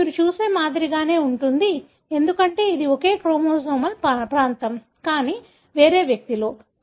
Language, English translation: Telugu, This is exactly the same like what you see, because, this is the same chromosomal region, but in different individual